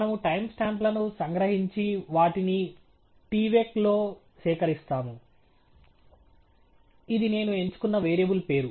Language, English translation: Telugu, We extract the time stamps and collect them in the tvec – it’s just a variable name that I have chosen